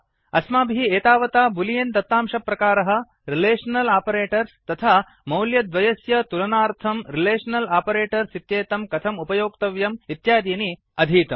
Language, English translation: Sanskrit, In this tutorial, we will learn about the boolean data type, Relational operators and how to compare data using Relational operators